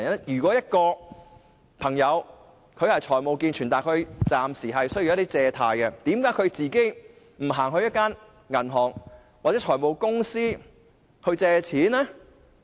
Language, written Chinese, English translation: Cantonese, 如果一位人士的財務健全，但暫時需要一些借貸，為何他不到銀行或財務公司借錢呢？, If a person is financially sound but needs to borrow some money temporarily why does he not borrow money from a bank or finance company?